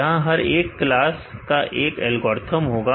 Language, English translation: Hindi, Each class fare will have a different algorithm